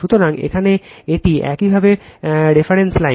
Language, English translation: Bengali, So, here it is your reference line